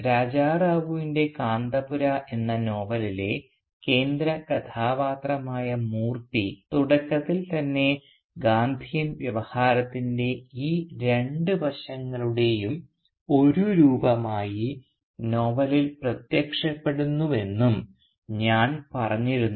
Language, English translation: Malayalam, And I had also said that Moorthy, who is a central character in Raja Rao’s novel Kanthapura, initially appears in the novel as an embodiment of both these two aspects of the Gandhian discourse